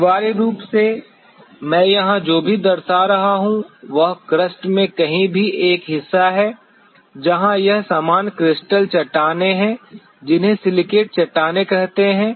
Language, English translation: Hindi, Essentially, what I am representing here is a part anywhere in the crust where it is normal crustal rocks say silicate rocks